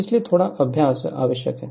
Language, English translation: Hindi, So, little bit practice is necessary